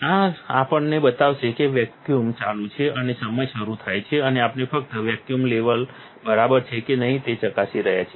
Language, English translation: Gujarati, This will show us that the vacuum is on, and the time starting, the wafer is rotating, and we are just checking that the vacuum level is ok